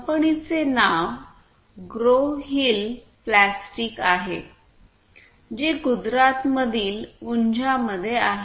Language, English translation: Marathi, The name of the company is Growhill Plastics which is in Unjha in Gujarat